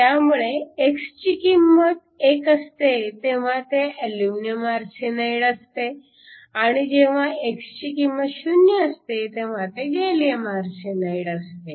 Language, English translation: Marathi, So, when x is equal to 1, it is aluminum arsenide and when x is equal to 0, it is gallium arsenide